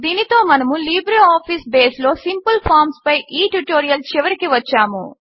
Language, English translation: Telugu, This brings us to the end of this tutorial on Simple Forms in LibreOffice Base